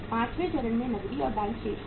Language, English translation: Hindi, Fifth stage is keeping the cash and bank balances